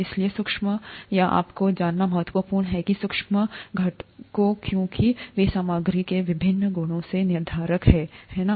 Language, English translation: Hindi, Therefore, it is important to know the microscopic or the sub microscopic components because they are the determinants of the various properties of materials, right